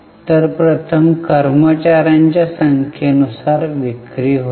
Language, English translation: Marathi, So, first one is sales upon number of employees